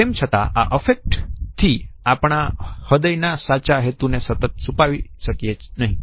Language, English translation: Gujarati, However, we cannot continuously use these affect displays to hide the true intention of our heart